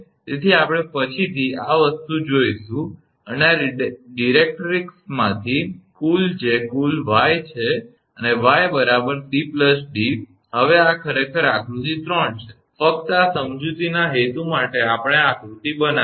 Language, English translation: Gujarati, So, we will see later this thing and total from this directrix that total is y, and y is equal to c plus d now this is actually a figure 3, just for the purpose of explanation we have made this diagram